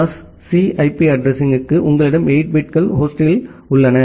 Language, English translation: Tamil, For a class C IP address, you have 8 bits in host